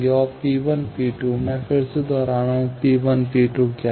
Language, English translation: Hindi, And, P 1 and P 2, I am again repeating, what is P 1, P 2